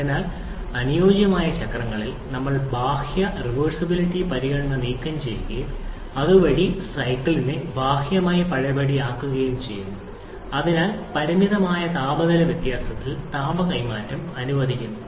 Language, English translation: Malayalam, Therefore, in ideal cycles, we remove the external reversibility consideration thereby making the cycle externally reversible and hence allowing heat transfer with finite temperature difference